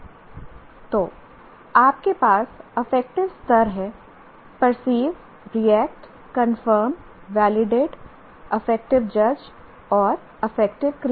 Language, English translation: Hindi, We call them perceive, react, conform, validate, affective judge and affective create